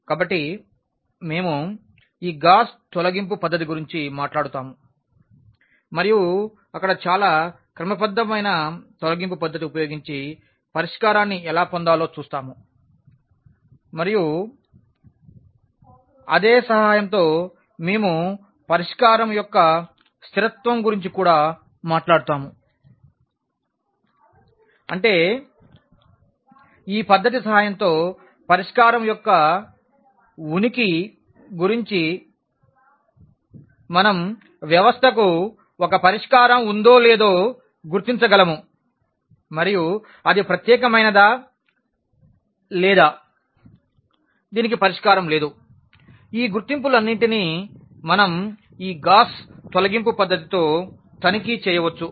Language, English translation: Telugu, So, we will be talking about this Gauss elimination method and there we will see that how to get the solution using this very systematic elimination technique and with the help of the same we will also talk about the consistency of the solution; that means, about the existence and non existence of the solution with the help of this technique we can identify whether the system has a solution and it is unique or it does not have a solution, all these identification we can also check with this Gauss elimination method